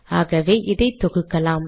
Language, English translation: Tamil, So lets compile this